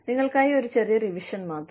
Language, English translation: Malayalam, Just a little revision for you